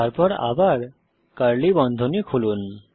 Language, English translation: Bengali, Then once again, open curly bracket